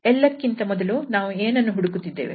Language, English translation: Kannada, So, at first what we are looking for